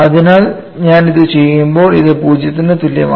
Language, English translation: Malayalam, So, when I do that, I get this equal to 0